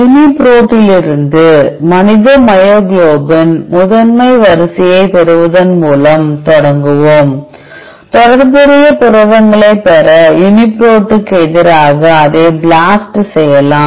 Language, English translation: Tamil, We will start with by obtaining the human myoglobin primary sequence from UniProt followed by blasting it against UniProt to get the related proteins